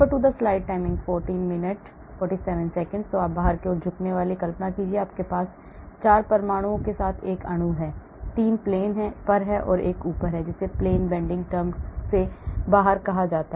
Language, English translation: Hindi, So out of plane bending, imagine you have a molecule with 4 atoms , 3 on the plane and one is up, that is called out of plane bending term